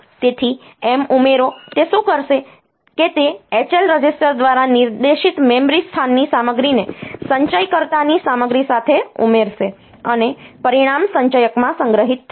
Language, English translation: Gujarati, So, add M what it will do it will add the content of memory location pointed to by H L register with the content of accumulator, and the result will be stored in the accumulator